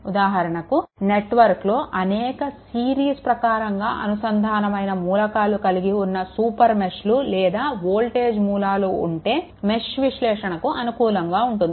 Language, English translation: Telugu, For example, in network right in network that contains many series connected elements right super meshes or voltage sources are suitable for mesh analysis right